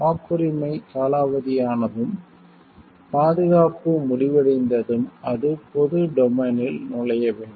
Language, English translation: Tamil, Once the patent expires and the protection ends, then it has to enter into a public domain